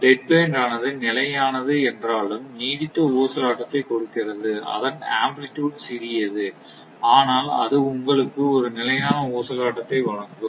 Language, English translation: Tamil, Because of the dead band, because dead band actually gives that long sustained oscillation although it is stable, it amplitude is small, but it will provide your what you call sustained oscillation